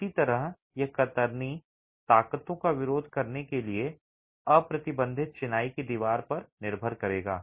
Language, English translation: Hindi, Similarly, it will depend on the unreinforced masonry wall to resist shear forces